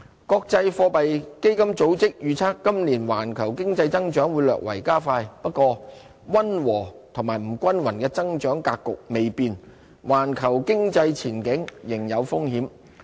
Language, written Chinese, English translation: Cantonese, 國際貨幣基金組織預測今年環球經濟增長會略為加快。不過，溫和及不均勻的增長格局未變，環球經濟前景仍有風險。, The International Monetary Fund predicted slightly faster economic growth worldwide this year while still expecting a moderate and uneven growth pattern and various risks to the global outlook